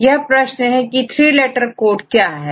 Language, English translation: Hindi, Now the question is what are three letter codes then why are you have to look